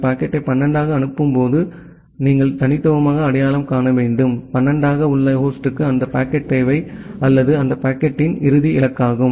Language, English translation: Tamil, So, once the packet is being forwarded to as 12, then you have to uniquely identify that which host inside as 12 need that packet or is the final destination of that packet